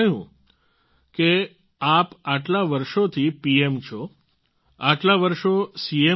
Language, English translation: Gujarati, She said "You have been PM for so many years and were CM for so many years